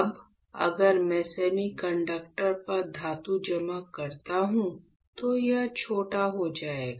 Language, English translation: Hindi, Now, as you know if you if I deposit metal on semiconductor it will get short right